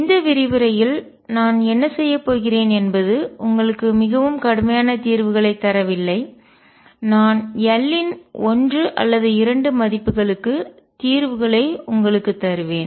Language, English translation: Tamil, What I am going to do in this lecture is not give you very rigorous solutions, I will give solutions for one or two values of l